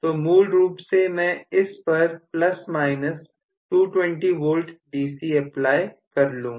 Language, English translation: Hindi, So, I am going to apply basically plus minus may be 220 V DC